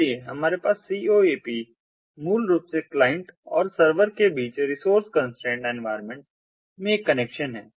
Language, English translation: Hindi, so coap is basically its a connection between the client and the server in a resource constraint environment